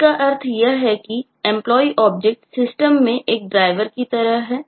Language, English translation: Hindi, which means, in essence, it means that these employee object is kind of the driver in the system